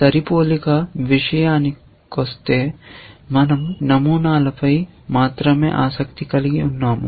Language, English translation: Telugu, As far as matching is concerned, we are only interested in patterns